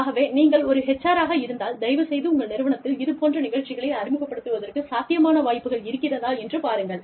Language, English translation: Tamil, So, if you are an HR person, please look into the possibility, of introducing these programs, into your organization